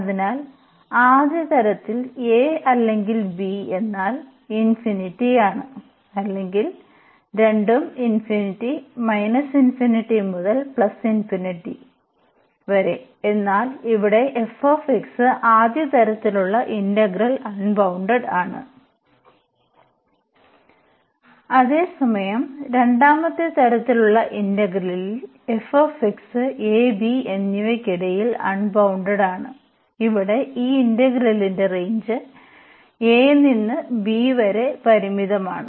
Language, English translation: Malayalam, So, in the first kind the limits either a or b is infinity or both are infinity minus infinity to plus infinity, but here the f x is bounded in the integral of first kind whereas, in the integral of the second kind we assume that this f x is unbounded between this a and b and these limits here the range of the integral is finite from this a to b